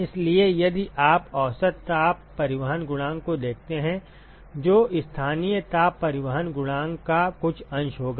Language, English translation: Hindi, So, if you look at the average heat transport coefficient that will be some fraction of the local heat transport coefficient